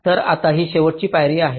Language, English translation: Marathi, so now this is the last step